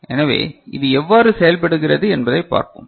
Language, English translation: Tamil, So, let us see how it works